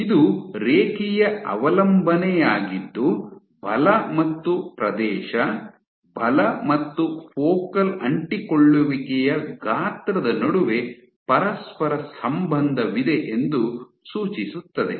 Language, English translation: Kannada, So, this was a linear dependence suggesting that there is a correlation between force and area, force and focal adhesion size